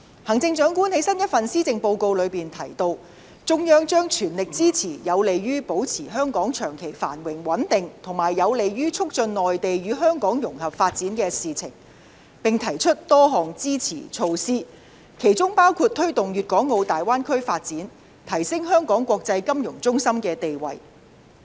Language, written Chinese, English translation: Cantonese, 行政長官在新一份施政報告中提到，中央將全力支持有利於保持香港長期繁榮穩定，以及有利於促進內地與香港融合發展的事情，並提出多項支持措施，其中包括推動粵港澳大灣區發展及提升香港國際金融中心的地位。, The Chief Executive has stated in the latest Policy Address that the Central Government will fully support whatever measure that is conducive to maintaining the long - term prosperity and stability of Hong Kong and promoting greater integration of Hong Kong into the overall development of the country . It has also put forward a number of support measures in this respect including initiatives to promote the development of the Guangdong - Hong Kong - Macao Greater Bay Area and enhance Hong Kongs status as an international financial centre